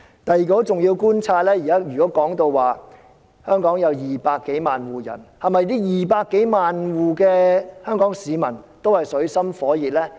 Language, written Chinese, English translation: Cantonese, 第二個很重要的觀察是，如果說香港有200多萬戶人，那是否這200多萬戶的香港市民均處於水深火熱中呢？, The second important observation is that if there are 2 - odd million households in Hong Kong are Hong Kong citizens of these households all living in desperate plight?